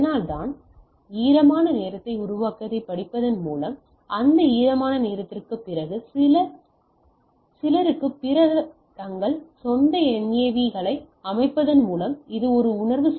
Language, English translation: Tamil, So, and so that is why by reading those its creating a wet time, which is an sensing after some after that wet time by setting their own NAVs